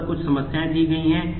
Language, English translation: Hindi, There are couple of problems given on that